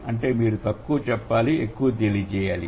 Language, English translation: Telugu, So, that means you should say less but convey more